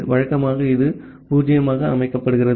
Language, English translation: Tamil, Usually it is set to 0